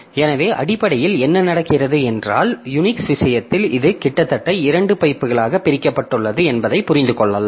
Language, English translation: Tamil, So essentially essentially what happens is that in case of Unix you can understand that this is virtually divided into two pipes